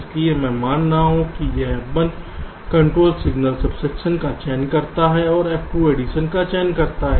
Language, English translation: Hindi, so i am assuming that f one, the control signal, selects subtraction and f two selects addition